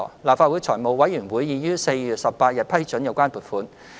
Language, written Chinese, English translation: Cantonese, 立法會財務委員會已於4月18日批准有關撥款。, The Finance Committee of the Legislative Council approved the related funding on 18 April 2020